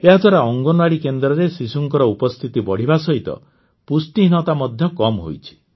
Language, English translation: Odia, Besides this increase in the attendance of children in Anganwadi centers, malnutrition has also shown a dip